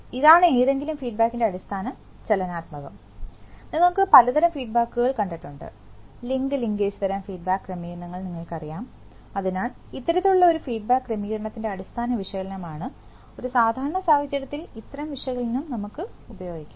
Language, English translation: Malayalam, So, this is the this is the basic dynamics of any feedback of, you have seen various kinds of, you know link linkage type of feedback arrangements, so this is the basic analysis of one such feedback arrangement and in a typical case, such analysis can be made, ok